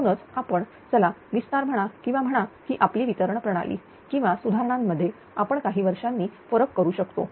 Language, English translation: Marathi, So, that your what you call expansion or your what you call that your of the distribution system or improvements you can differ by few years